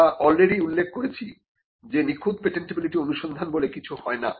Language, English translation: Bengali, And we had already mentioned that there is no such thing as a perfect patentability search